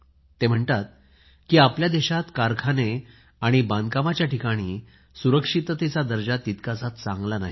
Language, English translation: Marathi, He writes that in our country, safety standards at factories and construction sites are not upto the mark